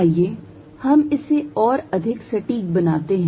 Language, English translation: Hindi, Let us make it more precise